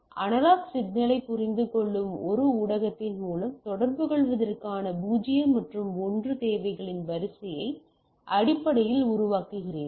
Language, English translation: Tamil, You are basically generating a series of 0’s and 1’s needs to communicate through a media, which understand that analog signal